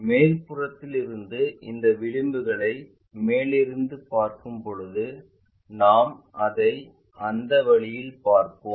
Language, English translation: Tamil, When we are looking from top view these edges under surface we will see it in that way